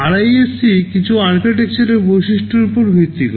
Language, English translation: Bengali, RISC is based on some architectural features